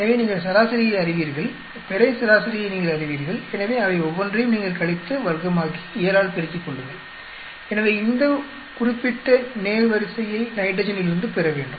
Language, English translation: Tamil, So, you know the average, you know the grand average, so each one of them you subtract, square it up, multiply by 7, so you should get this particular row from nitrogen